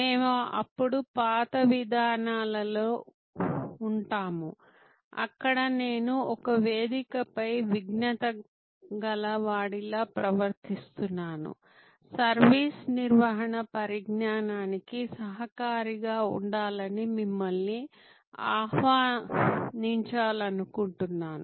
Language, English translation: Telugu, We will then be in the old paradigm, where I am behaving like a sage on a stage, I would like to invite you to be a co contributor to the knowledge of service management